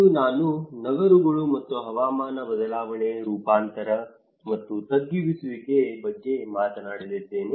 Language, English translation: Kannada, Today, I am going to talk about cities and climate change, adaptation and mitigation